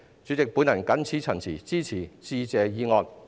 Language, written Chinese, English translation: Cantonese, 主席，我謹此陳辭，支持致謝議案。, With these remarks President I support the Motion of Thanks